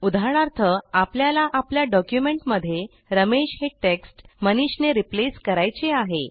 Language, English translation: Marathi, For example we want to replace Ramesh with MANISH in our document